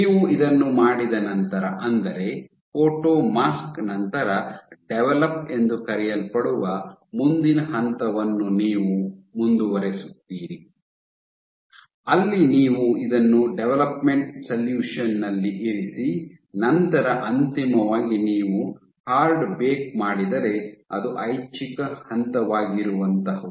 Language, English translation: Kannada, So, after you do this, after doing this you go ahead and do the next step after photomask you do again a develop, you do what is called a develop, where you put this in a development solution and then finally, you do a hard bake which is an optional step ok